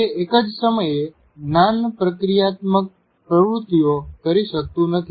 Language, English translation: Gujarati, It cannot perform two cognitive activities at the same time